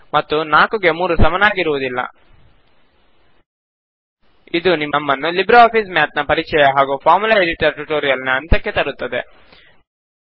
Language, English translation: Kannada, And 4 is not equal to 3 This brings us to the end of this tutorial on LibreOffice Math Introduction and Formula Editor